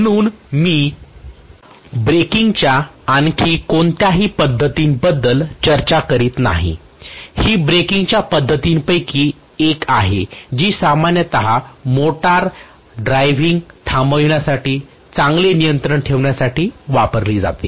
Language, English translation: Marathi, So I am not discussing any more methods of braking, this is one of the methods of braking used very very commonly, which is commonly employed to have a good control over the stopping of the motor drive